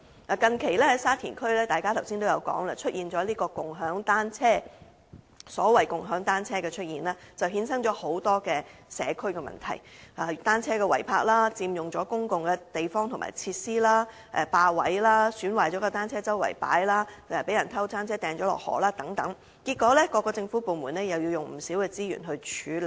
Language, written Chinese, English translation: Cantonese, 大家剛才說，沙田區近期出現了共享單車，所謂共享單車的出現衍生了很多社區問題，例如單車違泊、佔用公共地方和設施、霸佔位置、損壞了的單車四處擺放、單車被人偷走並扔進城門河等，結果各政府部門又要耗用不少資源處理。, As Members said just now Sha Tin sees the emergence of a bike - sharing scheme . The emergence of bike - sharing as we call it has led to many problems in the community such as illegal parking of bicycles occupation of public spaces and facilities filling up bicycle parking spaces arbitrary placement of broken bicycles and dumping of stolen bicycles into the Shing Mun River . As a result various government departments have to expend many resources to deal with these problems